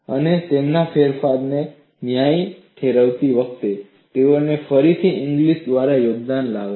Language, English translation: Gujarati, And while justifying their modification, they again bring in the contribution by Inglis